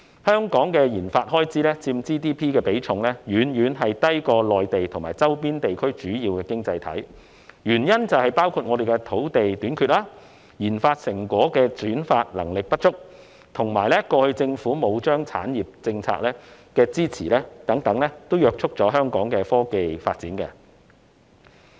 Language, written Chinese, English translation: Cantonese, 香港的研發開支佔 GDP 的比重遠遠低於內地和周邊地區的主要經濟體，原因包括我們的土地短缺，轉化研發成果的能力不足，以及過去欠缺政府產業政策的支持等，這些原因皆約束了香港的科技發展。, Compared with the Mainland and the major economies in our surrounding area our expenditure on research and development RD accounts for a far lower proportion of our GDP owing to reasons including our shortage of land our inadequate ability to commercialize RD results and the lack of support from the Governments industrial policies in the past . All these have constrained Hong Kongs technological development